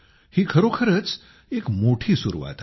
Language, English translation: Marathi, This is certainly a great start